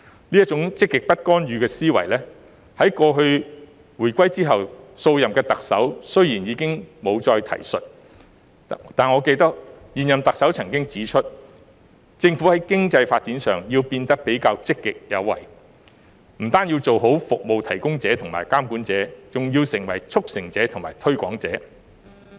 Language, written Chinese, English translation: Cantonese, 這種"積極不干預"的思維，雖然自回歸後，數任特首已經不再提述，但我記得現任特首曾經指出，"政府在經濟發展上，要變得比較積極有為，不單要做好'服務提供者'和'監管者'，還要成為'促成者'及'推廣者'。, Although this mindset of positive non - interventionism has not been mentioned by the Chief Executives since the reunification I recall that the incumbent Chief Executive has once said On economic development the Government should be more proactive . Not only does it have to be a good service provider and a regulator but it also has to play the role of a facilitator and a promoter